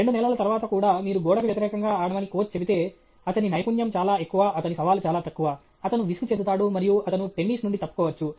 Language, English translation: Telugu, After two months also if the coach will say’s that you will play against the wall, then his skill is very high, his challenge is very low, he will get bored, and he may drop off from tennis